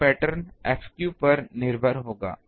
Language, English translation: Hindi, So, pattern will be dependent on F theta